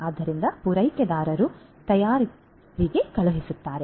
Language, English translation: Kannada, So, suppliers which are going to be sent to the manufacturers